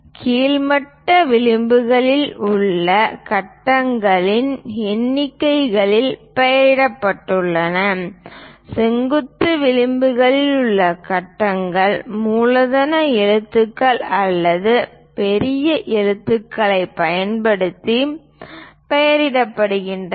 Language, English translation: Tamil, The grids along the horizontal edges are labeled in numerals whereas, grids along the vertical edges are labeled using capital letters or uppercase letters